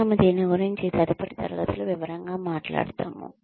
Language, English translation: Telugu, We will talk more about this in detail in the next class